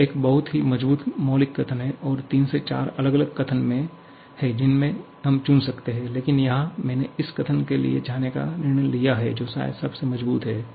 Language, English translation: Hindi, It is a very, very strong fundamental statement and there are 3, 4 different statements that we can choose from but here I have decided to go for this statement which probably is the strongest one